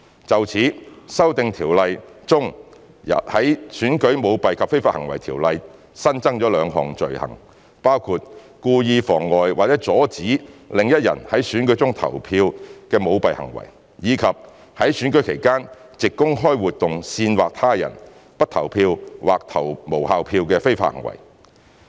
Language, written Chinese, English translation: Cantonese, 就此，《修訂條例》中在《選舉條例》新增了兩項罪行，包括故意妨礙或阻止另一人在選舉中投票的舞弊行為，以及在選舉期間藉公開活動煽惑他人不投票或投無效票的非法行為。, In this connection two new offences have been introduced under the Elections Ordinance ECICO by virtue of the Amendment Ordinance including the corrupt conduct to wilfully obstruct or prevent another person from voting at an election and the illegal conduct to incite another person not to vote to cast a blank or invalid vote by way of public activity during an election period